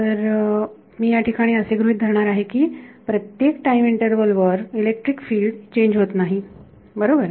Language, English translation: Marathi, So, I am going to assume that over each time interval electric field does not change right